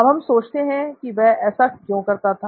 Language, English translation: Hindi, Now let us wonder why he was able to do this